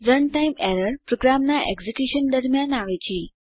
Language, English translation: Gujarati, Run time error occurs during the execution of a program